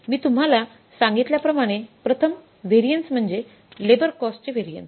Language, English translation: Marathi, So, first variances as I told you is the labor cost variance